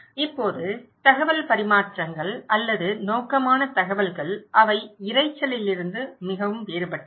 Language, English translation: Tamil, Now, purposeful exchange of informations or purposeful informations, they are very different from the noise